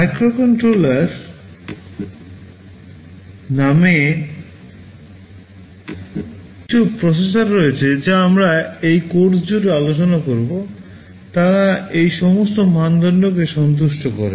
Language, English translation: Bengali, There is some kind of processor called microcontroller that we shall be talking about throughout this course, they satisfy all these criteria